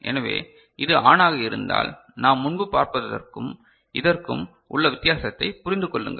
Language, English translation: Tamil, So, if this is on; please understand the difference between what we had seen before and this one